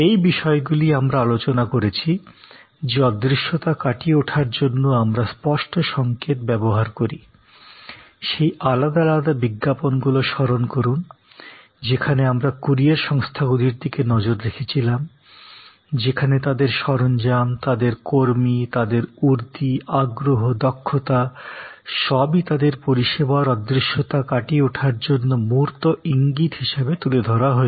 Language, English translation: Bengali, These points we have discussed that to overcome intangibility we use tangible cues, remember those different adds we looked at of courier companies, where their equipment, their people, their uniform, their eagerness, their expertise are all highlighted as tangible cues to overcome the intangibility of the service they are providing